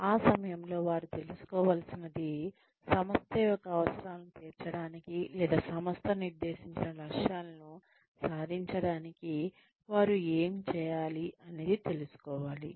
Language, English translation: Telugu, At that point, one needs to find out, what they know, and what they need to know, in order to satisfy the needs of the organization, or, in order to achieve the goals, that the organization has set